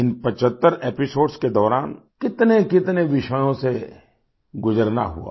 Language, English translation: Hindi, During these 75 episodes, one went through a multitude of subjects